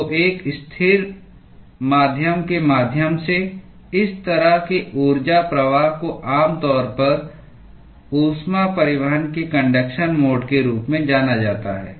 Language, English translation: Hindi, So, such kind of an energy flow through a stationary medium is typically referred to as a conduction mode of heat transport